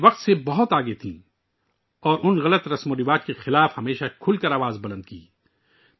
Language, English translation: Urdu, She was far ahead of her time and always remained vocal in opposing wrong practices